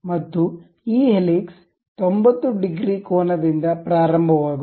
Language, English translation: Kannada, And this helix begins from 90 degrees angle